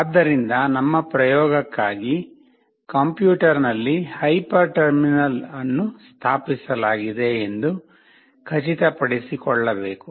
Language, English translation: Kannada, So for our experiment, it is required to ensure that there is a hyper terminal installed in the computer